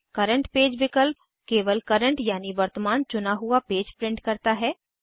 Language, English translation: Hindi, Current page option prints only the current selected page